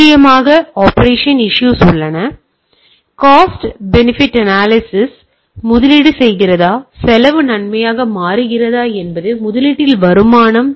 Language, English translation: Tamil, And of course, there are operation issues, cost benefit analysis, whether investing so much whether it is becoming a cost benefit there is a return on investment